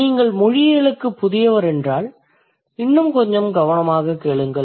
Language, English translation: Tamil, And if you are new to linguistics, my suggestion would be to listen to me a little more carefully